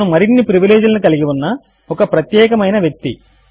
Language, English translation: Telugu, He is a special person with extra privileges